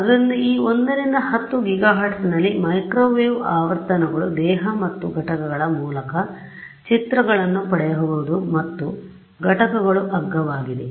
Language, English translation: Kannada, So, microwave frequencies in this 1 to 10 gigahertz we can hope that I can get through and through pictures of the body and components are cheap ok